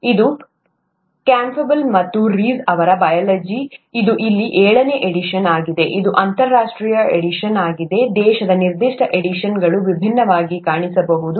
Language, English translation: Kannada, It's, “Biology” by Campbell and Reece, this is the seventh edition here, this is the international edition; the, country specific editions may look different